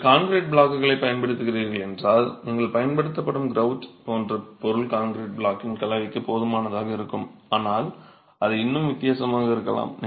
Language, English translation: Tamil, If you are using concrete blocks, the chances are that the grout material that you are using is close enough to the concrete blocks composition, but it still could be different